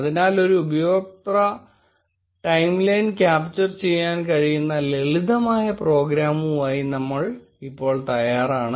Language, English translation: Malayalam, So, now we are ready with the simple program which can capture a user timeline